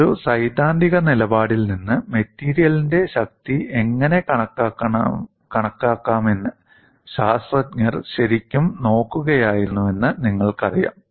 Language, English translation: Malayalam, You know scientists were really looking at how to estimate strength of the material from a theoretical stand point